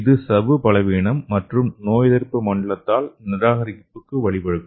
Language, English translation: Tamil, So which will leads to membrane weakness as well as immune rejection okay